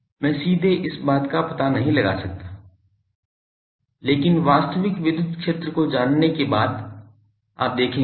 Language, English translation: Hindi, I cannot directly find out from this thing, but knowing the actual electric field there will be you will see